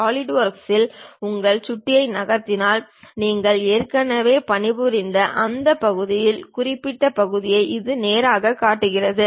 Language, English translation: Tamil, If you are just moving your mouse on Solidwork, it straight away shows the minimized version of what is that part we have already worked on